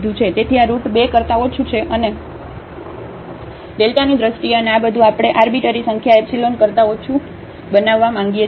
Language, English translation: Gujarati, So, this is less than square root 2 and in terms of delta and this everything we want to make less than the arbitrary number epsilon